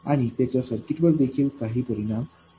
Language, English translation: Marathi, And they do have some effect on the circuit